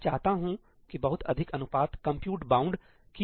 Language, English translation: Hindi, I want a much higher ratio to be compute bound